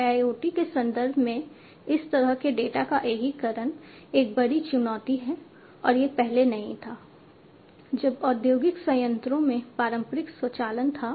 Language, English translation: Hindi, These the integration of such data is a huge challenge, in the IIoT context, and this was not there earlier when the traditional automation was there in the industrial plants